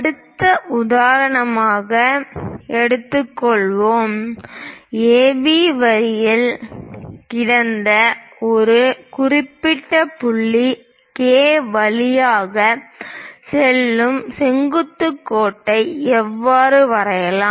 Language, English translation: Tamil, Let us take next example, how to draw a perpendicular line passing through a particular point K, which is lying on AB line